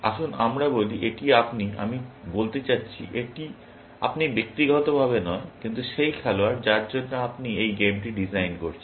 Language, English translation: Bengali, Let us say, this is you, I mean, you meaning not personally, you, but the player for which, you are designing this game